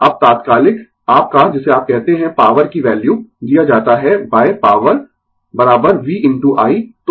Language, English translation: Hindi, Now, the instantaneous your what you call value of the power is given by power is equal to v into i